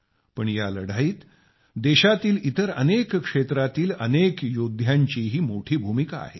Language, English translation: Marathi, But there also has been a very big role in this fight displayed by many such warriors across the country